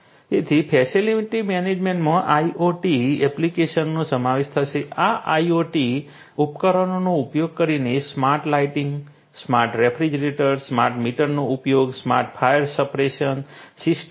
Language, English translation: Gujarati, include you know using these IoT devices to have smart lighting, smart refrigeration, use of smart meters, you know smart fire suppression systems